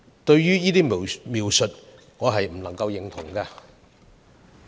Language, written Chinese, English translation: Cantonese, 對於這種種描述，我不能認同。, I cannot agree with such descriptions